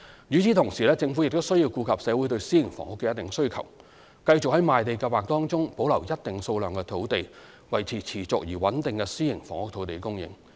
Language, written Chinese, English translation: Cantonese, 與此同時，政府亦需要顧及社會對私營房屋的一定需求，繼續在賣地計劃中保留一定數量的土地，維持持續而穩定的私營房屋土地供應。, At the same time the Government also needs to take into account certain demands for private housing in society and continue to keep a certain number of sites for the Land Sale Programme in order to maintain a sustained and steady private housing land supply